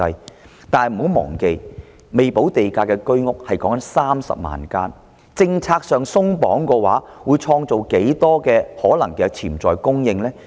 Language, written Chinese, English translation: Cantonese, 不過，大家不要忘記，還未補地價的居屋多達30萬間，政策上鬆綁的話會創造多少可能的潛在供應呢？, Well let us not forget that there are as many as 300 000 Home Ownership Scheme flats with premium unpaid . How much potential supply will be created if the policy is relaxed?